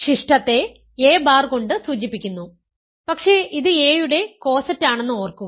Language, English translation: Malayalam, Residue is denoted by a bar, but remember it is the coset of a